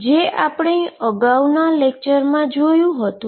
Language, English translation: Gujarati, So, this is what we did in the previous lecture